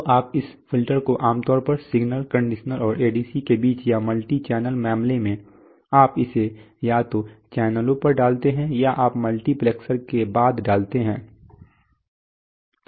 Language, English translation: Hindi, So you put that filter typically between the signal conditioner and the ADC or in a multi channel case you put it either at the channels or you put it after the multiplexer